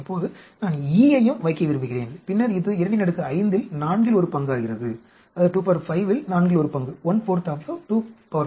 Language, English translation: Tamil, Now, I want a put E also, and then it becomes one fourth of 2 power 5 that is 2 power 5 minus 2 here